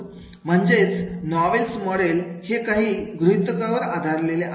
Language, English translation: Marathi, Now, that is the Noils model is based on the several assumptions